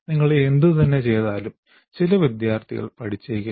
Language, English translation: Malayalam, Some people, in spite of whatever you do, some students may not learn